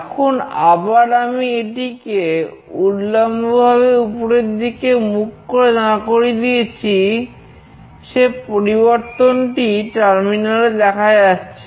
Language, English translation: Bengali, Now, again I have made it vertically up, which is displayed in this terminal